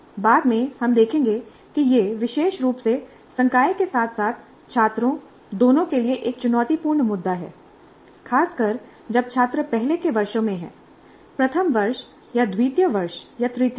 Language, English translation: Hindi, Later we will see that this is particularly a challenging issue both for faculty as well as our students, particularly when these students are in the earlier years, first year or second year or third year